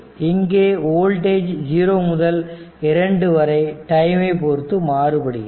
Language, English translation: Tamil, So, this is the voltage that means, voltage from 0 to 2, it is a time varying